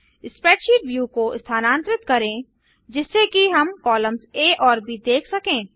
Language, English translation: Hindi, Let us move the spreadsheet view so we can see columns A and B